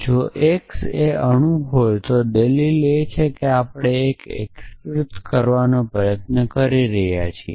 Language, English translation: Gujarati, So, if x is an atom if the argument that we are trying to unify